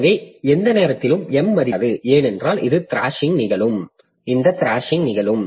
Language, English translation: Tamil, So, at any point of time you cannot cross the value of M because this this thrashing will occur from that point onwards